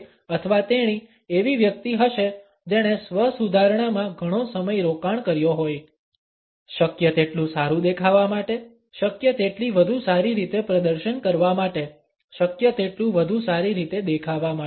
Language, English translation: Gujarati, He or she would be a person who has invested a lot of time in self improvement; in looking as better as possible in performing as better as possible, performing in as better a way as possible